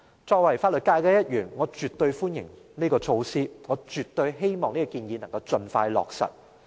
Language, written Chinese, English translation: Cantonese, 作為法律界的一員，我絕對歡迎這項措施，我絕對希望這項建議能夠盡快落實。, As a member of the legal field I definitely welcome this measure and I absolutely hope that this recommendation can be implemented as soon as possible